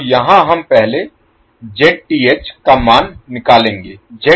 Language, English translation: Hindi, So here, first we will find the value of Zth